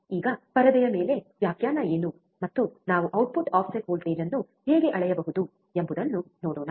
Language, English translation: Kannada, Now, let us see the on the screen what what the definition is and how we can measure the output offset voltage, right